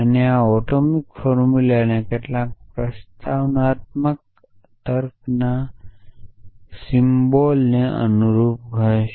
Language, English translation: Gujarati, And this atomic formulas will some sense of correspond to the propositional symbols in propositional logic essentially